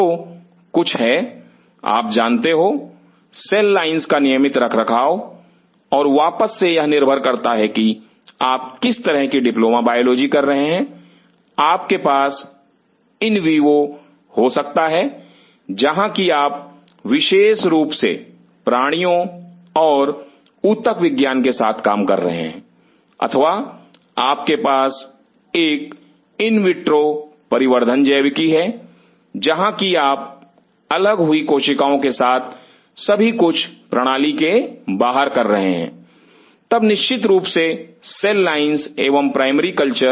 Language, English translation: Hindi, So, they have something you know regular maintenance of cell line and again it depends on what kind of diploma biology you are doing, you could be could have in vivo where you are exclusively dealing with animals and histology or you have an in vitro development biology where you are doing everything outside the system with isolated cells then definitely cell lines and primary cultures